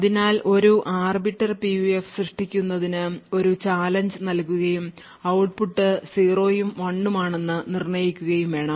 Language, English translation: Malayalam, So creating an Arbiter PUF would require that we provide a challenge and correspondingly determine whether the output is 0 and 1